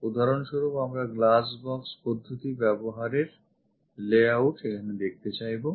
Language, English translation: Bengali, For example, we would like to show it using glass box method the layout